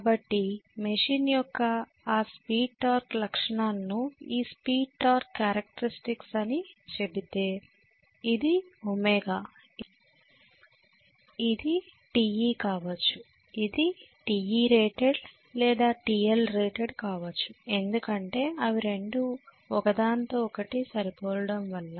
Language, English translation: Telugu, So having seen this speed torque characteristics of the machine if he says this is the speed torque characteristics of the machine, this is omega, this is Te may be this is what is Te rated or TL rated whatever because they are going to match with each other